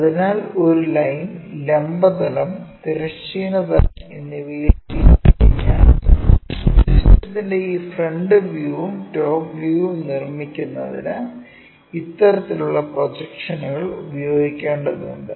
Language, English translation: Malayalam, So, when a line is inclined to both vertical plane, horizontal plane, we have to use this kind of projections to construct this front view and top view of the system